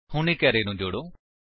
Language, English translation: Punjabi, Now, let us add an array